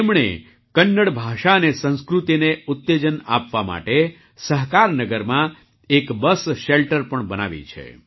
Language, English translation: Gujarati, He has also built a bus shelter in Sahakarnagar to promote Kannada language and culture